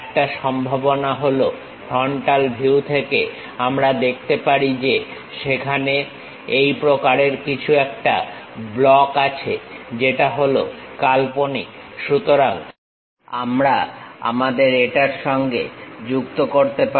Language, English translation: Bengali, One of the possibility is from frontal view, we can see that there is something like this kind of block, which is imaginary, so we can join along with our this one